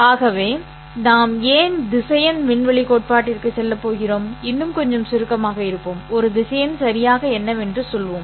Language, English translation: Tamil, So with that reason why we are going to vector space theory let be a little more abstract and say what exactly is a vector or let us define mathematically in a slightly more abstract sense what is a vector